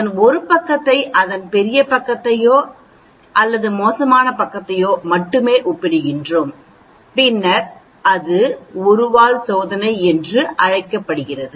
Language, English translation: Tamil, Then we are comparing only 1 side of it greater side of it or worst side of it, then that is called one tailed test